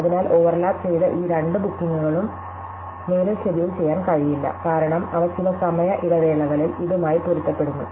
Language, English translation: Malayalam, So, these two bookings, which overlap with it, can no longer be scheduled, because they have a conflict with this in sometime interval